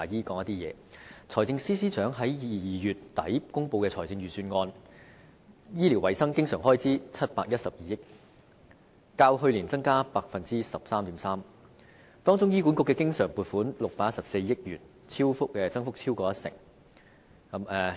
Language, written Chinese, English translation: Cantonese, 在財政司司長於2月底公布的財政預算案中，醫療衞生經常開支為712億元，較去年增加 13.3%， 當中醫院管理局的經常撥款為614億元，增幅超過一成。, In the Budget announced by the Financial Secretary in late February the recurrent health care expenditure is 71.2 billion representing an increase of 13.3 % compared to last year whereas the recurrent expenditure for the Hospital Authority HA is 61.4 billion representing an increase of over 10 %